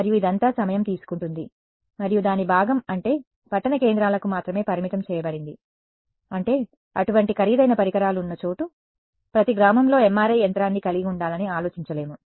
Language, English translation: Telugu, And all its time consuming, and its organ something that is limited to rural I mean urban centers where such expensive equipment is there, you cannot have you know think of having an MRI machine in every village